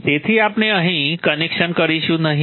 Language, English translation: Gujarati, Therefore we will not make the connection here